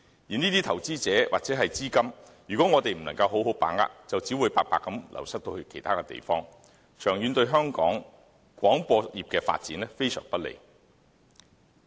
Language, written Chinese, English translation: Cantonese, 如果我們不能好好把握這些投資者或資金，便只會白白流失到其他地方，長遠對香港廣播業的發展非常不利。, If we fail to take advantage of these investors and capital they will run off to other places and this will be detrimental to Hong Kongs broadcasting industry in the long run